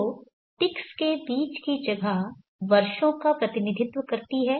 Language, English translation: Hindi, So the space between the ticks are supposed to represent the years